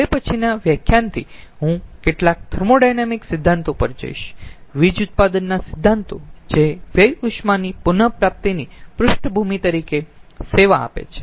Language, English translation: Gujarati, now, from the next lecture i will switch over to some thermodynamic principles, principles of power generation which serves as the background of waste heat recovery